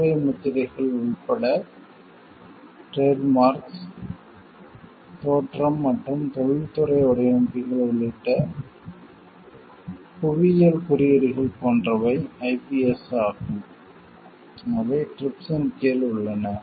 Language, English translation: Tamil, Trademarks, including service marks; Geographical indications including appellations of origin and industrial designs are the IPS which are covered under TRIPS